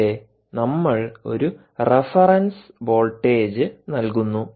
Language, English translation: Malayalam, here we give a reference voltage, v ref, right, v ref